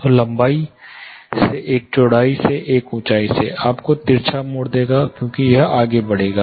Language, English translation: Hindi, So, one by length one by width one by height, will give you the oblique mode as it goes on it will increase